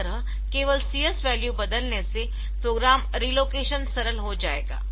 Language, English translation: Hindi, So, by just changing CS value the program relocation will becomes simple